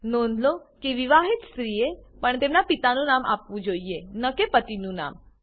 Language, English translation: Gujarati, Note that married women should also give their fathers and not their husbands name